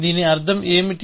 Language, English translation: Telugu, What do I mean by that